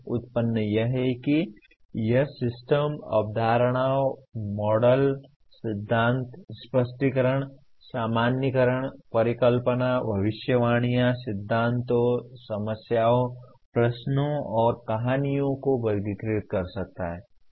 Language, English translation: Hindi, Generation is it can be classifying systems, concepts, models, theories, explanations, generalization, hypothesis, predictions, principles, problems, questions, and stories